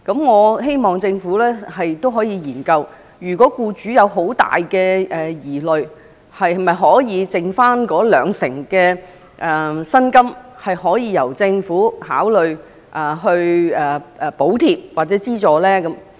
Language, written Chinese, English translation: Cantonese, 我希望政府可以研究一下，如果僱主有很大的疑慮，則可否考慮剩餘的兩成薪金由政府補貼或資助。, I hope the Government can look into the matter . If the employers have great concern can we consider Government subsidy or financial assistance to cover the remaining 20 % of the salary